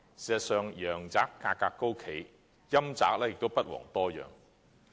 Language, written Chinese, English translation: Cantonese, 事實上，陽宅價格高企，陰宅也不遑多讓。, In fact while prices of housing for the living are sky - high prices of housing for the dead are not cheap at all